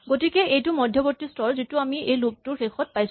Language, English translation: Assamese, So, this is that intermediate stage that we have achieved at the end of this loop